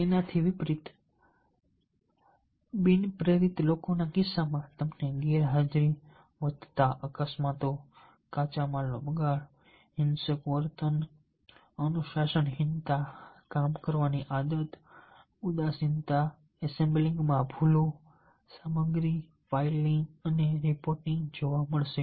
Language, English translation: Gujarati, contrarily, in case of non motivated people, you will be finding absenteeism, increased accidence, wastage of raw materials, violent behavior, indiscipline, sloppy work habits, apathy, errors in assembling materials, filing and reporting